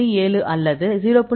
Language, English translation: Tamil, 7 or 0